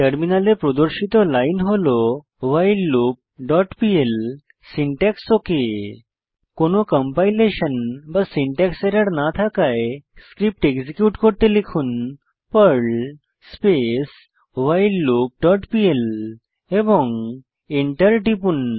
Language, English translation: Bengali, The following line will be displayed on the terminal whileLoop.pl syntax OK As there is no compilation or syntax error, we will execute the Perl script by typing perl whileLoop dot pl and press Enter The following output will be displayed on the terminal